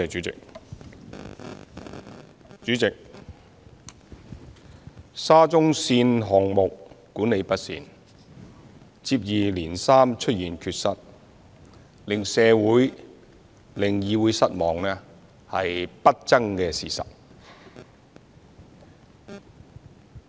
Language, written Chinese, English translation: Cantonese, 主席，沙中線項目管理不善，接二連三出現缺失，令社會、議會失望是不爭的事實。, President it is an indisputable fact that the Shatin to Central Link SCL project plagued by poor management and a spate of irregularities has disappointed the community and the Council alike